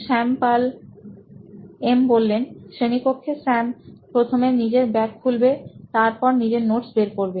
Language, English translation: Bengali, So in class like is first Sam will be opening his bag, taking his notes out